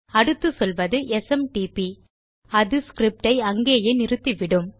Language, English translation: Tamil, Next Ill say SMTP and that can just kill the script there